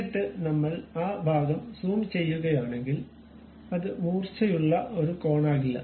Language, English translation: Malayalam, Then if we are zooming that portion it will not be any more a sharp corner